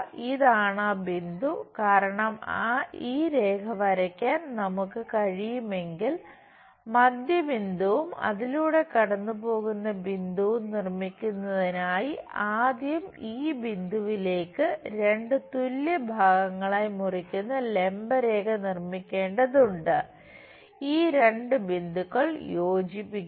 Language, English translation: Malayalam, This is the point, because if we can draw this line constructing midpoint and the point through which it is passing through it first one has to construct a perpendicular bisector to this point, something there something there join these points